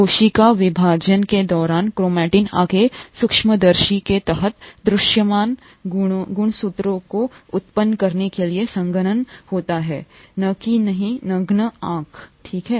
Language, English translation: Hindi, During cell division chromatin condenses further to yield visible chromosomes under of course the microscope, not, not to the naked eye, okay